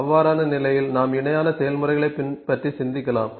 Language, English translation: Tamil, So, in that case we can think of putting Parallel Processes